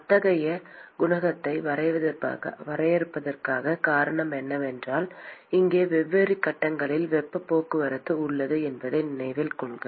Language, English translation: Tamil, And the reason for defining such a coefficient is that note that here is heat transport across different phases